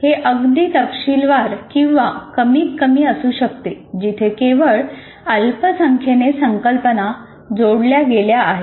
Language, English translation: Marathi, So it can be very detailed, very small, only small number of concepts are connected together for us to understand